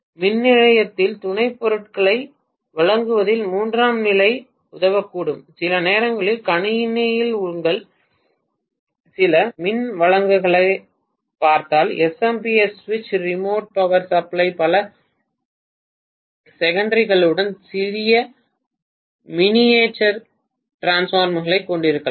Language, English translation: Tamil, The tertiary might help in supplying the auxiliaries in the power station, sometimes if you look at some of your power supplies in the computer SMPS switch remote power supply they may have small miniaturized transformer with multiple secondaries